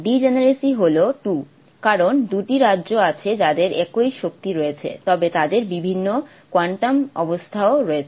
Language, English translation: Bengali, Degeneracy is 2 because there are two states which have the same quantum same energy but have different quantum states